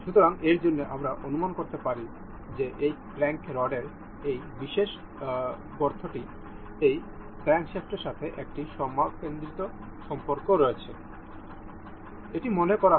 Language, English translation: Bengali, So, for this, we can guess that this this particular hole in this crank rod is supposed to be supposed to have a concentric relation with this crankshaft